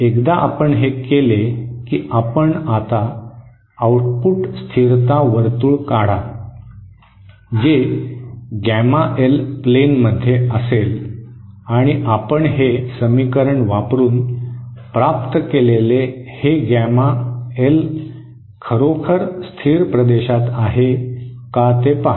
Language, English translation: Marathi, Once you do that you now draw the output stability circle where we are in the gamma L plane and see whether this gamma L that you just obtained using this equation really lies in the stable region